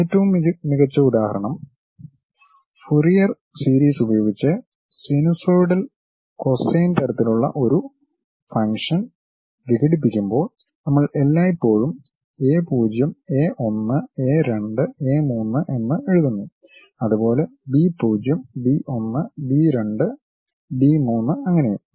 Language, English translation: Malayalam, The best example is when we are decomposing a function in terms of sinusoidal cosine kind of thing by using Fourier series, we always write a0, a 1, a 2, a 3 and so on; b0, b 1, b 2, b 3 and so on so things